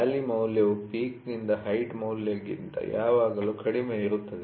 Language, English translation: Kannada, The valley is always the value is always much less than peak to height value